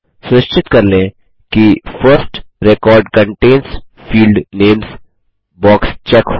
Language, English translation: Hindi, Ensure that the box First record contains field names is checked